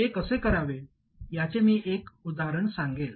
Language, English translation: Marathi, I will show you one example of how to accomplish this